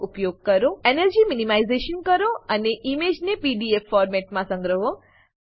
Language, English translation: Gujarati, # Do energy minimization and save the image in PDF format